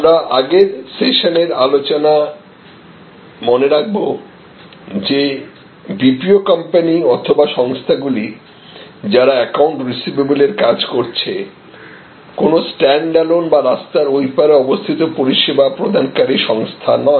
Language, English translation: Bengali, And we must recall the previous sessions that discussion that is BPO company or entity, that is doing their account receivable work therefore, is not a sort of stand alone or across the wall a service provider